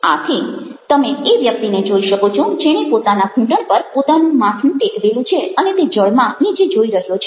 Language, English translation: Gujarati, so you find person who is put a, put his head on his knee and he is looking down into the water